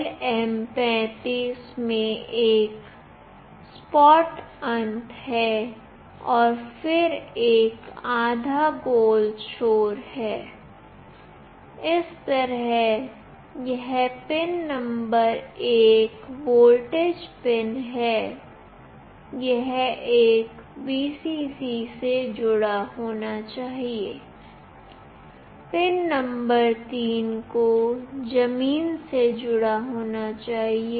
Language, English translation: Hindi, In LM35 there is a flat end and then there is a half round end, this way this pin number 1 is the voltage pin, this one should be connected to Vcc, pin number 3 must be connected to ground